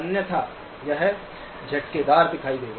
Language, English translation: Hindi, Otherwise, it will look jerky